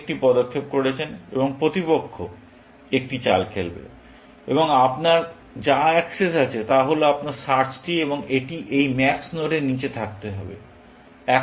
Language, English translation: Bengali, You have made a move, and opponent will play a move, but what you have access to, is your search tree, and has to below this max node